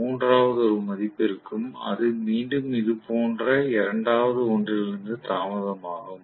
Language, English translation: Tamil, The third one will have value, which is again delayed from the second one like this